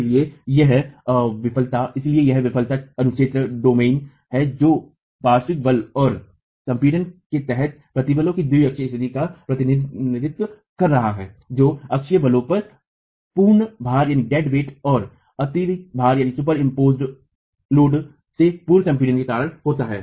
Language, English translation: Hindi, So, this is the failure domain that is representing the biaxial state of stress under lateral force and compression due to axial forces dead weight and pre compression from superimposed loads